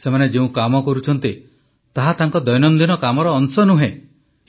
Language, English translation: Odia, The tasks they are performing is not part of their routine work